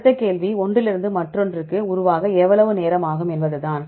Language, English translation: Tamil, The next question is how long it takes to evolve from one to other